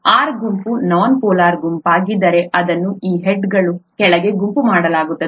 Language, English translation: Kannada, If the R group happens to be a nonpolar group, then it is grouped under this head